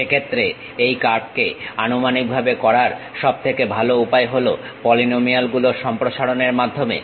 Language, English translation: Bengali, In that case the best way of approximating this curve is by polynomial expansions